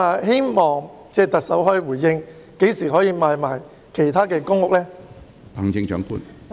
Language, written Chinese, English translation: Cantonese, 希望特首可以回應，何時才能夠出售其他公共屋邨的單位？, I hope the Chief Executive will respond to the question on when flats in other PRH estates can be put up for sale